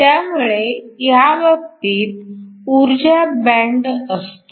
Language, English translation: Marathi, So, These are energy band